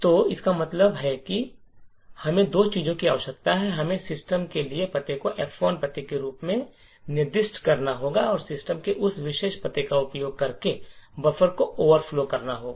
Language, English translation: Hindi, So, this means we require two things we need to specify the address for system as the F1 address and overflow the buffer using that particular address of system